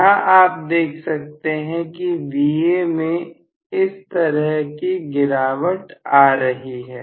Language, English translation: Hindi, So, I am going to have this as Va decreasing direction